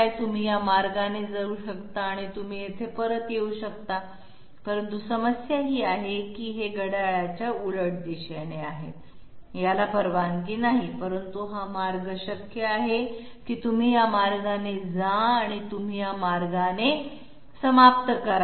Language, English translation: Marathi, You can go this way and you can welcome back here, but problem is this is counterclockwise, this is not allowed, but this path is possible that is you go this way and you end up this way